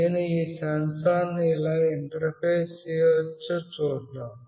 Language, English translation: Telugu, Let us see how I can interface this sensor